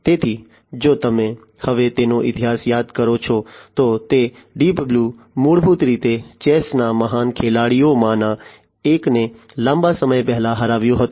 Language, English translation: Gujarati, So, if you recall you know its history now, that Deep Blue, basically defeated one of the greatest chess players long time back